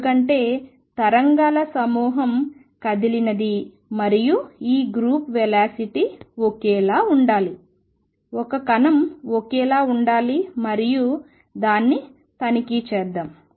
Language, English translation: Telugu, Because the group of waves that has moved and this group velocity should be the same should be the same has the speed of particle and let us check that